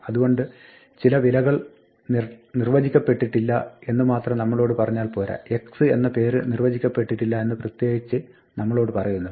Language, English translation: Malayalam, So, it is not enough to just tell us oh some value was not defined it tells us specifically the name x is not defined